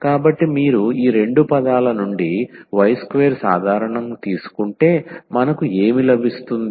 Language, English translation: Telugu, So, if you take y square common out of these two terms, so, what we will get